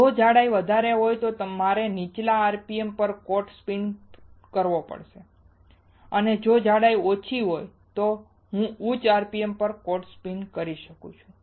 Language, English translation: Gujarati, If a thickness is higher then I have to spin coat at lower rpm, and if the thickness is lower, then I can spin coat at higher rpm